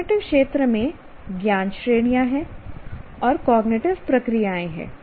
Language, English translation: Hindi, And cognitive domain has knowledge categories and has cognitive processes